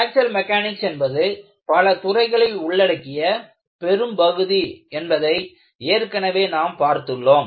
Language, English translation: Tamil, In this, we have already noticed that Fracture Mechanics is a broad area covering several disciplines